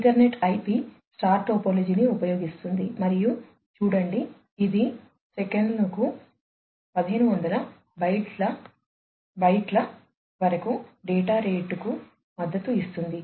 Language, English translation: Telugu, Ethernet IP uses the star topology and it supports data rate of up to about 1500 bytes per second